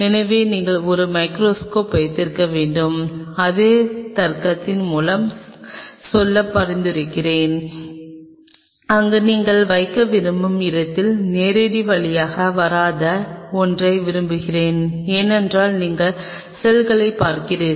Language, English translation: Tamil, So, you have to have a microscope and I will recommend you going by the same logic where you want to put it prefer something which is not coming in the direct way, because you are viewing the cell